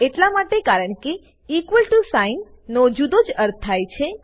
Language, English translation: Gujarati, This is because the equal to sign has another meaning